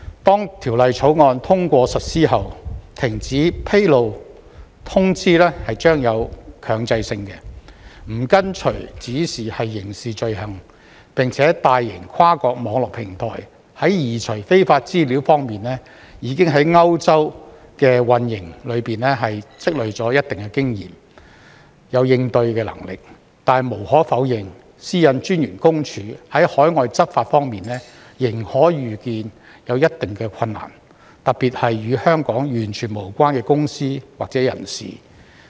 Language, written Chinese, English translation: Cantonese, 當《條例草案》通過實施後，停止披露通知將具有強制性，不跟從指示是刑事罪行，並且大型跨國網絡平台在移除非法資料方面已在歐洲的運營中積累了一定的經驗、有應對能力，但無可否認，私隱公署在海外執法方面仍可預見有一定的困難，特別是與香港完全無關的公司或人士。, Following the passage and implementation of the Bill complying with a cessation notice will become mandatory and non - compliance with it will be a criminal offence . Besides the large multinational online platforms during their operation in Europe already have some experience of removing unlawful information and are capable of dealing with the situation . Nevertheless there is no denying that PCPD can still foresee certain difficulties in overseas enforcement particularly in relation to companies or persons completely unconnected with Hong Kong